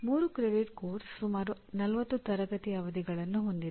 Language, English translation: Kannada, A 3 credit course has about 40 classroom sessions